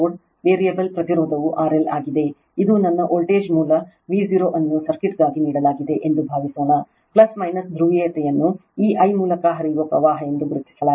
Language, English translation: Kannada, The variable resistance is R L suppose this is my voltage source V 0 is given for a circuit, plus minus polarity is marked current flowing through this I